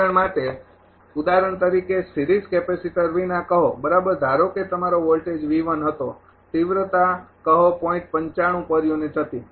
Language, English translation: Gujarati, For example, without for example, say without series capacitor right suppose your voltage was V 1 say magnitude was zero 0